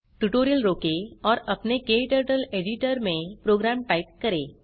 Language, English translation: Hindi, Pause the tutorial and type the program into your KTurtle editor